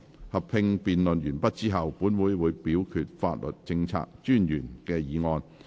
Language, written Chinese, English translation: Cantonese, 合併辯論完畢後，本會會表決法律政策專員的議案。, After the joint debate has come to a close this Council will proceed to vote on the Solicitor Generals motion